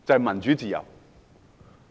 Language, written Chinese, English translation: Cantonese, 民主自由好！, Democracy and freedom are good!